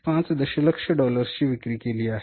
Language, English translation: Marathi, 5 million of the sales we are doing